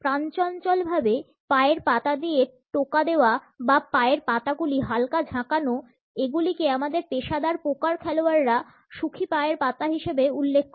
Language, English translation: Bengali, Tapping bouncing or jiggling feet; our professional poker players refer to as happy feet